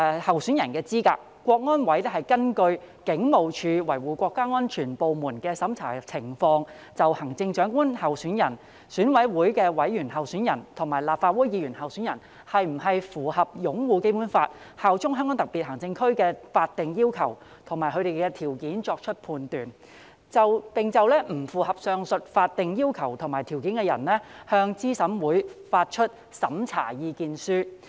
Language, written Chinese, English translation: Cantonese, 香港特別行政區維護國家安全委員會是根據警務處維護國家安全部門的審查情況，就行政長官候選人、選委會委員候選人及立法會議員候選人是否符合擁護《基本法》、效忠香港特別行政區的法定要求和條件作出判斷，並就不符合上述法定要求和條件的人，向資審會發出審查意見書。, The Committee for Safeguarding National Security of HKSAR CSNS shall on the basis of the review by the department for safeguarding national security of the Police Force make findings as to whether a candidate for the office of Chief Executive for EC member or for Member of the Legislative Council meets the legal requirements and conditions of upholding the Basic Law and swearing allegiance to HKSAR and issue an opinion to CERC in respect of a candidate who fails to meet such legal requirements and conditions